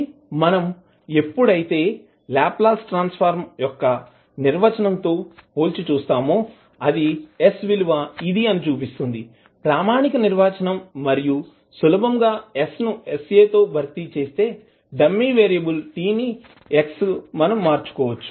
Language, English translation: Telugu, So you can say that when we compare the definition of Laplace transform shows that s is this, the standard definition and you simply replace s by s by a while you change the dummy variable t with x